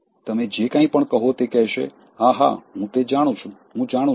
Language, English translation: Gujarati, Now, whatever you say they will say, yeah, yeah, I know it, I know it